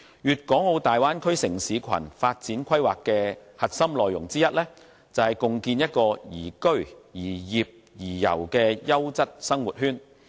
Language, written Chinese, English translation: Cantonese, 《粵港澳大灣區城市群發展規劃》的核心內容之一，便是共建宜居、宜業、宜遊的優質生活圈。, A key content in the Development Plan for a City Cluster in the Guangdong - Hong Kong - Macao Bay Area is to jointly build a quality living circle to provide an ideal place for living working and travelling